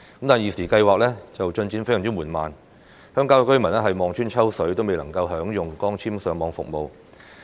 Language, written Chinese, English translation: Cantonese, 但是，現時資助計劃的進展非常緩慢，鄉郊居民望穿秋水都未能享用光纖上網服務。, However with the extremely slow progress of the Subsidy Scheme at present residents of the rural areas will have to wait for a very long time before they can enjoy Internet services through fibre - based networks